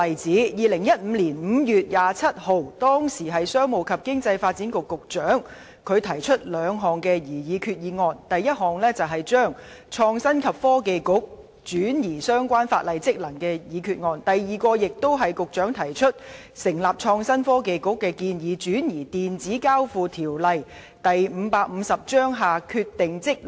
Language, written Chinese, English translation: Cantonese, 在2015年5月27日，時任商務及經濟發展局局長提出兩項擬議決議案，第一項議案旨在廢除為成立創新及科技局移轉相關法定職能的決議，第二項議案旨在為成立創新及科技局移轉《電子交易條例》下的法定職能。, On 27 May 2015 the then Secretary for Commerce and Economic Development put forward two proposed resolutions the first motion sought to repeal the resolution effecting the transfer of statutory functions for the establishment of the Innovation and Technology Bureau; the second motion sought to effect the transfer of relevant statutory functions for the establishment of the Innovation and Technology Bureau under the Electronic Transactions Ordinance Cap . 553